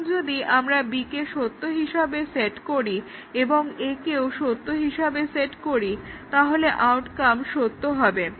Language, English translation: Bengali, So, if you set B is equal to true and A equal to true, the outcome is true